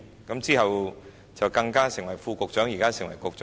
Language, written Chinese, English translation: Cantonese, 然後，他還成為副局長，現時更是局長。, Then he rose to the office of an Under Secretary and he is even a Director of Bureau now